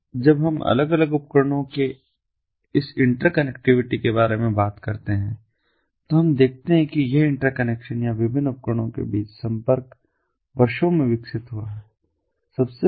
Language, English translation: Hindi, now, when we talk about this interconnectivity of different devices, we see that this interconnection or connectivity between the different devices has evolved over the years